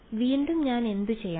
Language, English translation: Malayalam, So, again what do I do